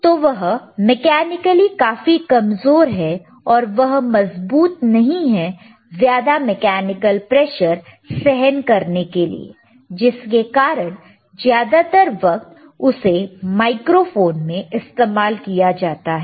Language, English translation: Hindi, So, mechanically they are very weak and not strong enough to withstand higher mechanical pressures, thatwhich is why they are mostly used in microphones, you see